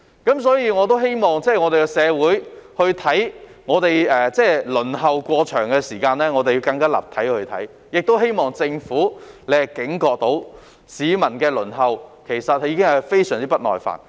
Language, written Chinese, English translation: Cantonese, 因此，我希望社會可更立體地看待輪候時間過長的問題，亦希望政府警覺到市民對輪候已非常不耐煩。, Therefore I hope that the community can consider the problem of excessively waiting time from more perspectives . Hopefully the Government can sense that people are getting very impatient with waiting